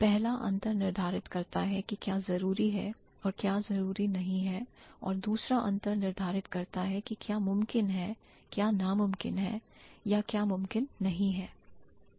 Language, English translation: Hindi, The former distinguishes what is necessary from what is unnecessary and the latter distinguishes what is possible and what is impossible or what is not possible, right